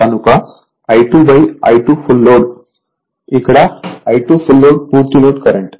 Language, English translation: Telugu, So, say I 2 upon I 2 f l; I 2 f l is the full load current